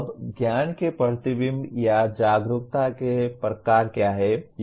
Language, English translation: Hindi, Now what are the types of reflection or awareness of knowledge